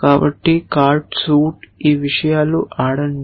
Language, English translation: Telugu, So, card, suit, play these things